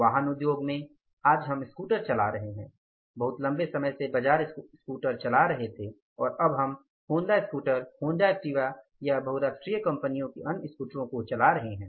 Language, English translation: Hindi, We were driving a Bajar scooter long back and now we are driving the Honda scooter, Honda Activa or the other scooters of the multinational companies